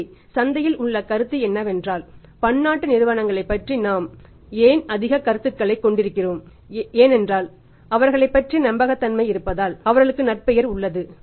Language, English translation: Tamil, So, perception in the market is why we are having high perception about the multinational companies because they have their own credibility they have their own reputation